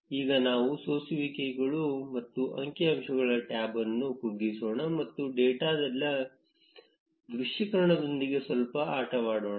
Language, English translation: Kannada, Now, let us collapse the filters and statistic tab and play around with the visualization of the data a bit